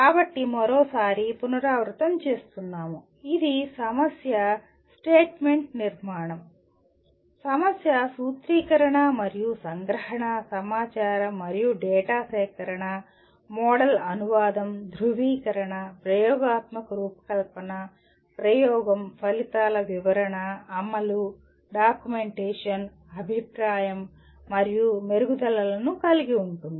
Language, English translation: Telugu, So once again to repeat, it involves problem statement construction, problem formulation, and abstraction, information and data collection, model translation, validation, experimental design, experimentation, interpretation of results, implementation, documentation, feedback, and improvement